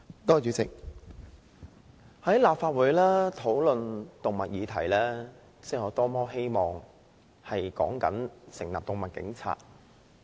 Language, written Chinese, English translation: Cantonese, 代理主席，在立法會討論動物議題，我多麼希望說的是成立"動物警察"。, Deputy President I really wish that the animal issue being discussed in the Legislative Council was the establishment of animal police